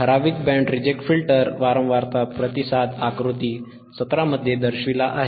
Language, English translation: Marathi, A typical Band Reject Filter, A typical Band Reject Filter frequency response is shown in figure 17